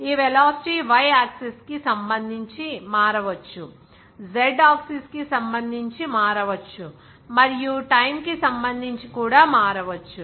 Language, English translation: Telugu, It may change with respect to y axis, z axis even this velocity may change with respect to time